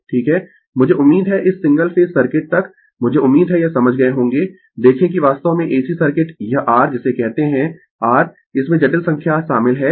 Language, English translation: Hindi, I hope up to this single phase circuit I hope you have understood this look ah that actually ac circuit it it your what you call your it involves complex number